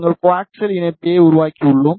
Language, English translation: Tamil, And we have made the coaxial connector